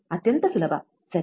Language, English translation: Kannada, Extremely easy, right